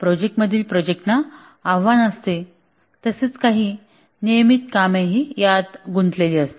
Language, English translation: Marathi, The projects as challenge as well as there are some routine tasks involved